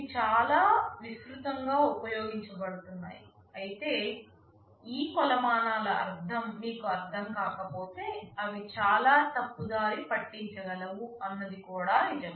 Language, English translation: Telugu, These are quite widely used, but it is also true that if you do not understand the meaning of these metrics they can be the most misleading